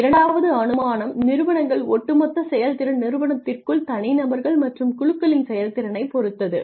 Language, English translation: Tamil, The second assumption is the firms overall performance depends to a large degree on the performance of individuals and groups within the firm